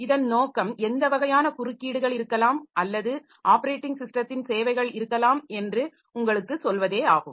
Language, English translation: Tamil, The purpose is just to tell you like what sort of interrupts may be there or the operating system services may be there